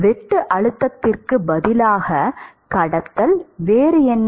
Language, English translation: Tamil, Instead of shear stress it is conduction, what else